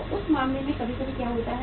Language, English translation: Hindi, So in that case sometime what happens